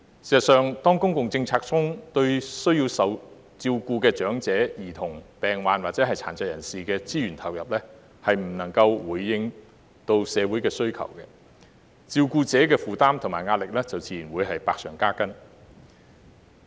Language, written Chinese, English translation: Cantonese, 事實上，當公共政策中對需受照顧的長者、兒童、病患或殘疾人士的資源投入未能回應社會的需求，照顧者的負擔和壓力就自然百上加斤。, In fact when public policies fail to satisfy the demand in society by allocating adequate resources to persons in need of care such as the elderly children patients and persons with disabilities PWDs the heavy burden and pressure on carers will naturally be aggravated